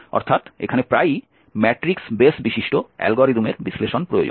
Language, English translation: Bengali, So this is the number basically associated with a matrix that is often requires analysis of matrix base algorithm